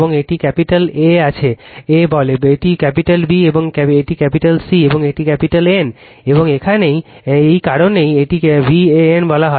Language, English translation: Bengali, And this is your capital A say, this is capital B, and this is C, and this is capital N right, and that is why this is this is called v AN